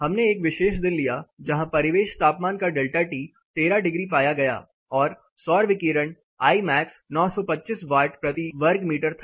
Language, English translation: Hindi, We took one particular day where the ambient temperature delta T was to be found to be 13 degree and the solar radiation Imax was 925 watts per meter square